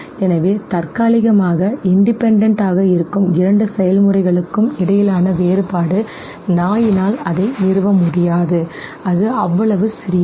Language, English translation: Tamil, So temporally the difference between the two processes which are independent okay, the dog is not able to establish no it is so, so, so small